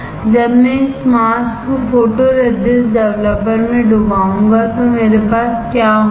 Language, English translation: Hindi, When I dip this mask in photoresist developer what will I have